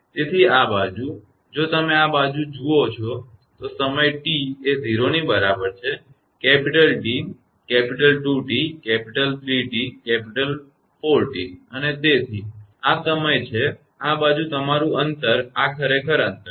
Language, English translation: Gujarati, So, this side if you look this side is time T is equal to 0, capital T, capital 2 T, capital 3 T, 4 T and so on this is time and this side your distance this is actually distance